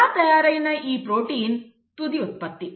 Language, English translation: Telugu, Now this protein is the final product